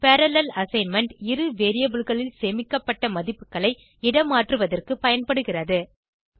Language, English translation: Tamil, Parallel assignment is also useful for swapping the values stored in two variables